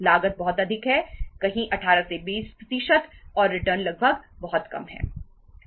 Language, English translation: Hindi, Cost is very high, somewhere 18 to 20 percent and the return is almost very very low